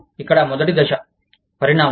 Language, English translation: Telugu, The first step here is, evolution